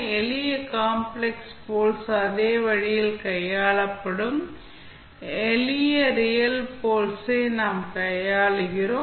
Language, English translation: Tamil, Now, simple complex poles maybe handled the same way, we handle the simple real poles